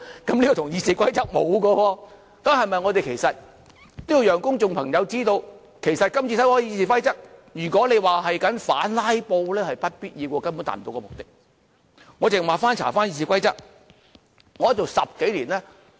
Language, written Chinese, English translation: Cantonese, 這與《議事規則》沒有關係的，我們要讓公眾知道，其實今次修改《議事規則》，與反"拉布"是沒有必然關係的，根本達不到目的。, It has nothing to do with the Rules of Procedure . Therefore we need to let the public know that the amendments to the Rules of Procedure this time around are not necessarily related to the opposition to filibuster . The amendments cannot achieve the objective